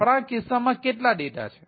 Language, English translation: Gujarati, how many data is there